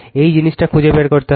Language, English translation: Bengali, This is the thing you have to find it